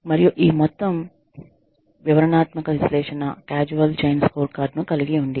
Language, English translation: Telugu, And, this whole detailed analysis, will constitute a causal chain scorecard